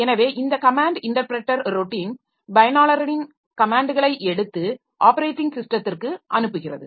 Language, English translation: Tamil, So, it takes the command interpreter routine, it takes the comments on the user and then passes it to the underlying operating system